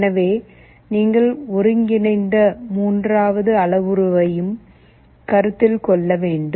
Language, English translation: Tamil, So, you also need to consider a third parameter that is the integral